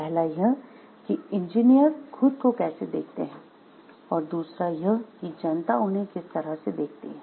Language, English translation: Hindi, One is how engineers view themselves, and the others is how the public at large view this them